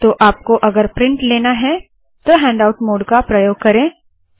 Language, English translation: Hindi, And if you want to take a printout, use the handout mode